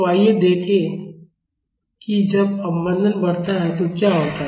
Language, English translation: Hindi, So, let us see what happens when the damping is increased